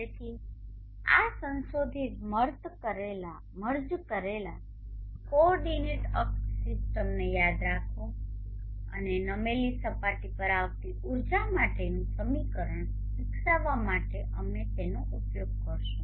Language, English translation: Gujarati, So remember this modified merged coordinate axis system and we will be using this to develop the equation for the energy falling on a tilted surface